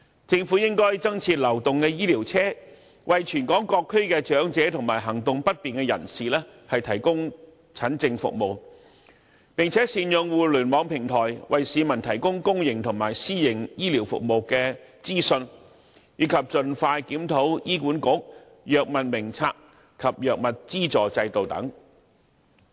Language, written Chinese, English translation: Cantonese, 政府應增設流動醫療車，為全港各區的長者及行動不便人士提供診症服務；並善用互聯網平台，為市民提供公營和私營醫療服務的資訊，以及盡快檢討醫管局《藥物名冊》及藥物資助制度等。, Mobile clinics should be introduced to provide consultation services to the elderly or people with mobility difficulties throughout Hong Kong . The Internet platform should be leveraged to provide people with public and private healthcare information . Also the HA Drug Formulary and drugs subsidy system should be reviewed expeditiously